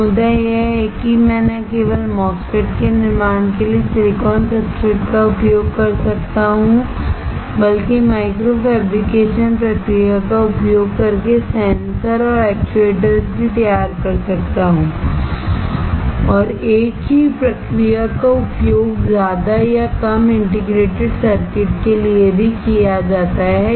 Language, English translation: Hindi, So, the point is that I can use silicon substrate for fabricating not only MOSFETs, but also to fabricate sensors and actuators using the micro fabrication process and the same process is used more or less for integrated circuits as well